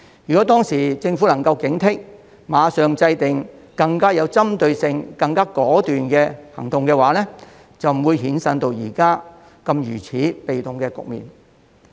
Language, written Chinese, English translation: Cantonese, 如果當時政府能夠警惕，馬上制訂更有針對性及更果斷的行動，便不會衍生到現時如此被動的局面。, If the Government had remained alert at that time and immediately took targeted and decisive actions we would not have been left in such a passive situation now . Another example is the LeaveHomeSafe app